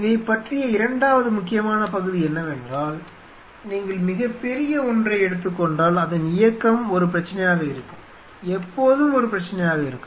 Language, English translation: Tamil, Second important part about this is that if you take a very big one then its movement will be an issue, will be always an issue